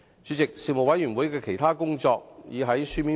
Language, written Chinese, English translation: Cantonese, 主席，事務委員會的其他工作已在書面報告中詳細交代。, President a detailed account of the other work of the Panel can be found in the written report